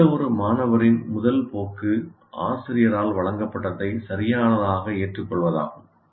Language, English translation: Tamil, The first tendency of any student is whatever is presented by the teacher is right